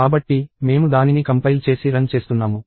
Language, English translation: Telugu, So, I compile and run it